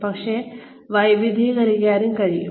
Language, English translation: Malayalam, And maybe, you can diversify